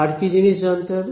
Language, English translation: Bengali, What else should be known